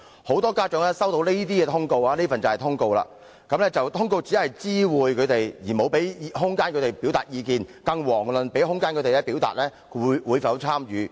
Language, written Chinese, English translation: Cantonese, 我手上有一份學校通告，很多家長所接獲的通告，只是作出知會，根本沒有提供空間讓他們表達意見，更遑論給予他們空間表達會否參與。, What I am holding is a school notice which only serves to inform parents concerned of the schools decision on TSA . I know many parents have received this kind of notice . There is essentially no room for parents to express their views let alone allow them to indicate whether they wish their students to participate in TSA